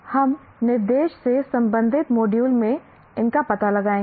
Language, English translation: Hindi, We will explore these in the module related to instruction